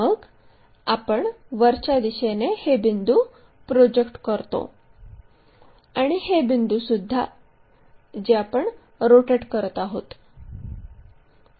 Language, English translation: Marathi, Then, we project those points in the upward direction towards this, and this one what we are rotating